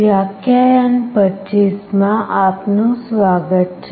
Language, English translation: Gujarati, Welcome to lecture 25